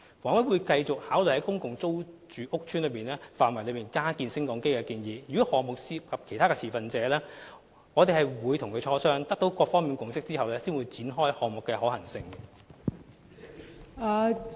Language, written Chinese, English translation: Cantonese, 房委會會繼續考慮在公共租住屋邨範圍內加建升降機的建議，如果項目涉及其他持份者，我們會與他們磋商，取得各方的共識後才會展開項目的可行性研究。, HA will continue to consider proposals to retrofit lifts within the boundaries of PRH estates . If a project involves other stakeholders we will negotiate with them and try to reach a consensus before carrying out the feasibility study of the project